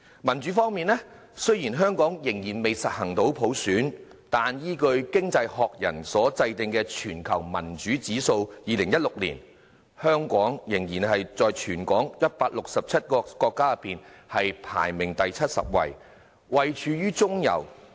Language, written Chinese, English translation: Cantonese, 民主方面，雖然香港仍未實行普選，但依據《經濟學人》所制訂的全球民主指數，香港仍然在全球167個國家及地區中，排名第七十位，位處中游。, As regards democracy Hong Kong has yet to implement universal suffrage but according to the 2016 Democracy Index prepared by the Economist Hong Kong took up a middling position being ranked 70 among 167 countries and regions in the world